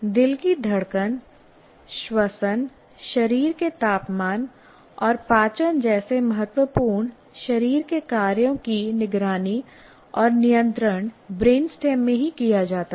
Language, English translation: Hindi, Vital body functions such as heartbeat, respiration, body temperature and digestion are monitored and controlled right in the brain stem itself